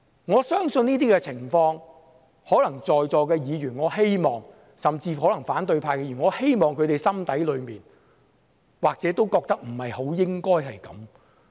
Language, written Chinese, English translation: Cantonese, 我希望在席議員，甚至反對派議員，心底裏或許也覺得不應該出現此等情況。, I hope that all Members present and even opposition Members may feel in their hearts that such situations should not occur